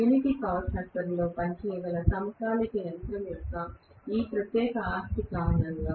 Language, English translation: Telugu, Because of this particular property of the synchronous machine which can work at unity power factor